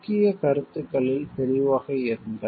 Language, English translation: Tamil, Be clear about the key concepts